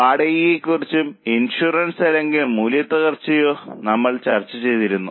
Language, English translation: Malayalam, We have talked about rent or insurance or depreciation